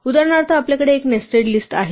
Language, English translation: Marathi, For example, we can have a nested list